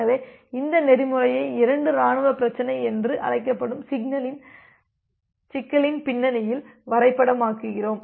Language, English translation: Tamil, So, we map this protocol in the context of a problem called two army problem